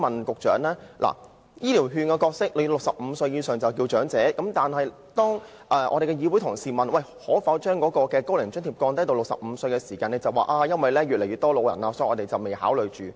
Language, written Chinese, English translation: Cantonese, 局長，在派發"醫療券"方面 ，65 歲以上長者已能受惠，但當會內同事提出可否把"高齡津貼"下調至65歲時，局長卻表示因為長者的數目越來越多，所以政府暫不考慮。, Secretary elderly persons aged 65 or above can already benefit from the distribution of health care vouchers . However when Honourable colleagues in this Council asked whether the eligibility age for OAA could be lowered to 65 the Secretary said the Government would not consider doing so for the time being in view of the growing number of elderly persons